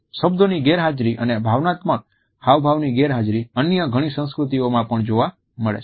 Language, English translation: Gujarati, The absence of words, and thus the absence of emotional expression of those words, is found in many other cultures